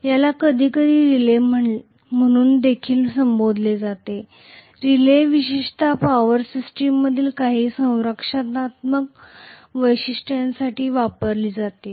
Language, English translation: Marathi, This is also sometimes called as a relay; a relay typically is used for some protective features in a power system